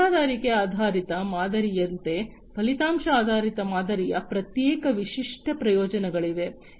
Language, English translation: Kannada, So, like the subscription based model, there are separate distinct advantages of the outcome based model as well